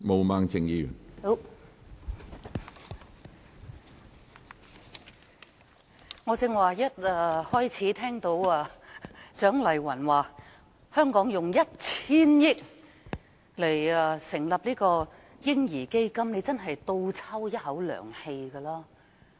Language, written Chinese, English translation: Cantonese, 當我聽到蔣麗芸議員一開始時建議香港動用 1,000 億元成立"嬰兒基金"時，真的倒抽一口涼氣。, When I heard Dr CHIANG Lai - wan propose at the outset using 100 billion to establish a baby fund in Hong Kong I really gasped with surprise